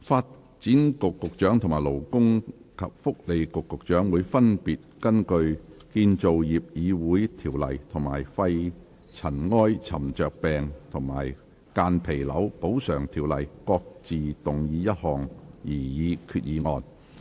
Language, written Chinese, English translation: Cantonese, 發展局局長和勞工及福利局局長會分別根據《建造業議會條例》和《肺塵埃沉着病及間皮瘤條例》各自動議一項擬議決議案。, The Secretary for Development and the Secretary for Labour and Welfare will each move a proposed resolution under the Construction Industry Council Ordinance and the Pneumoconiosis and Mesothelioma Compensation Ordinance respectively